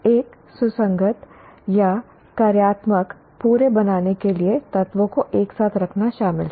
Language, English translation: Hindi, Create involves putting elements together to form a coherent or functional whole